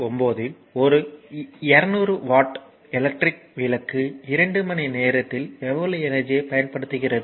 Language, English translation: Tamil, 9 right, that how much energy does a 200 watt electriclamp consume in 2 hours right